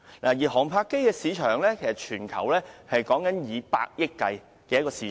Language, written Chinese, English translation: Cantonese, 至於航拍機的市場，以全球計算，是以百億元計的市場。, As for the drone market it is now worth tens of billions of dollars globally